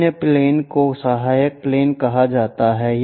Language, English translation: Hindi, The other planes are called auxiliary planes